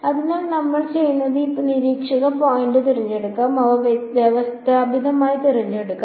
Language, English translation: Malayalam, So, what we will do is let us choose our the observation point let us choose them systematically